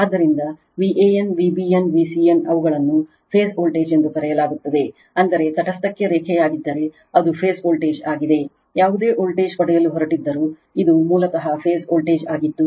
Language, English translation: Kannada, Therefore, V a n, V b n, V c n they are called phase voltages that means, if line to neutral, then it is phase voltages